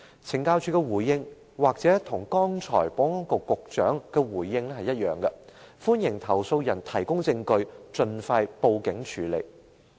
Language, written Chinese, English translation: Cantonese, 懲教署的回應也許與保安局局長剛才的回應相同，就是歡迎投訴人提供證據，盡快報警處理。, CSDs reply may sound identical to the reply given by the Secretary for Security just now as it asserts that complainants are welcome to provide evidence and are urged to report their cases to the Police as soon as possible